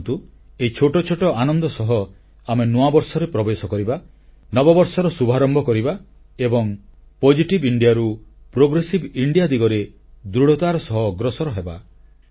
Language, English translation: Odia, Let us enter into the New Year with such little achievements, begin our New Year and take concrete steps in the journey from 'Positive India' to 'Progressive India'